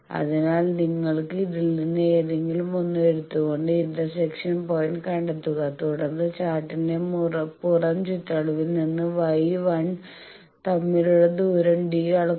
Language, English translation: Malayalam, So, you can take any of that find out the intersection point, measure the distance d between Y 1 from outer periphery of chart